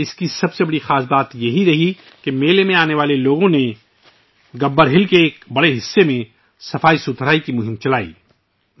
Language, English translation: Urdu, The most significant aspect about it was that the people who came to the fair conducted a cleanliness campaign across a large part of Gabbar Hill